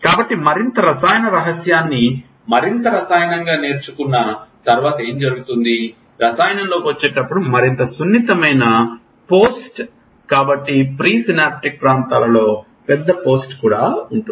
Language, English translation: Telugu, So, what happens after learning more chemical secret it more chemical, then more sensitive the post as the chemical comes in so there are larger post in presynaptic areas